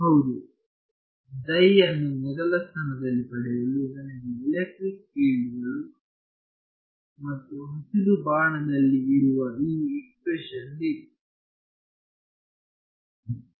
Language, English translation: Kannada, Yeah so, to get psi in the first place, I need electric fields and this expression over here in the green arrow